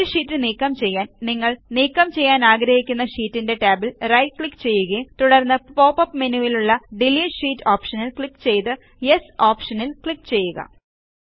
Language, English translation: Malayalam, In order to delete single sheets, right click on the tab of the sheet you want to delete and then click on the Delete Sheet option in the pop up menu and then click on the Yes option